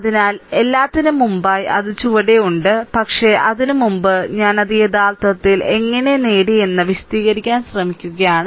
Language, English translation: Malayalam, So, let me so before everything is there at the bottom, but before that I am just trying to explain that how we actually obtained it